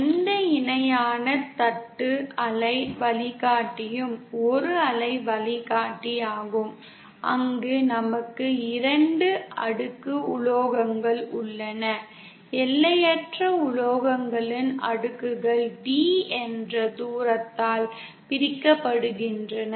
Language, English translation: Tamil, No parallel plate waveguide is a waveguide where we have 2 layers of metals infinite layers of metals separated by a distance, d